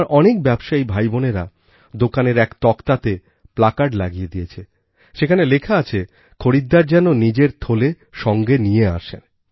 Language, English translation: Bengali, Many of my merchant brothers & sisters have put up a placard at their establishments, boldly mentioning that customers ought to carry shopping bags with them